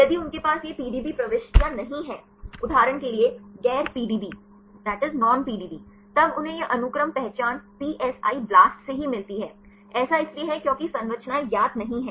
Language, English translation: Hindi, If they do not have this PDB entries; for example, non PDB; then they get this sequence identity only from PSI BLAST; it is because structures are not known